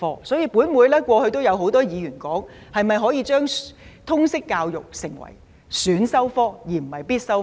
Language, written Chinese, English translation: Cantonese, 所以，本會過去有很多議員建議將通識教育成為選修科，而非必修科。, Thus many Members of this Council have suggested to turn Liberal Studies from a compulsory subject into an optional subject